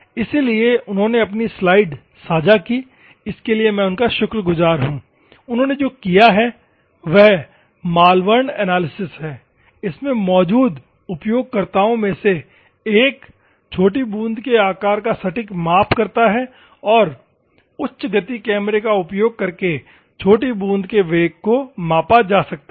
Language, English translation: Hindi, So, courtesy to him for sharing his slides so, what they have done is Malvern Analysis is one of the users use to measure the exact droplet size and the droplet velocity was measured using high speed camera